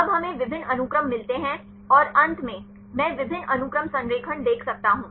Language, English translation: Hindi, Now we get several sequences and finally, I can see the multiple sequence alignment